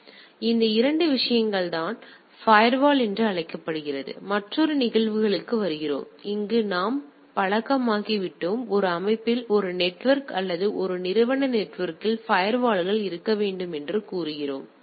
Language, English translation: Tamil, So, these are the 2 things with this we come to another phenomena called firewall which are we are accustomed with we here at the layout say a network or a organisation network should have firewalls